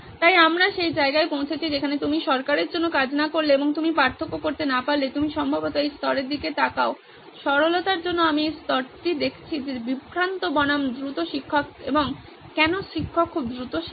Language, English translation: Bengali, So we have reached the place where unless you work for the government and you can make a difference you should probably look at this level for simplicity sake I am going to look at this level which is distracted versus fast teacher and why does the teacher teach very fast